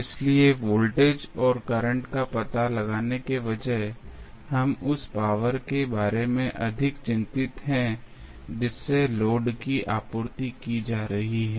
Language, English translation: Hindi, So, rather than finding out the voltage and current we are more concerned about the power which is being supplied to the load